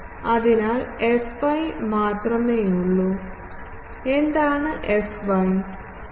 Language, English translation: Malayalam, So, I will have only fy and what is fy